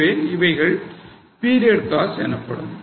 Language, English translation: Tamil, So, they are considered as period costs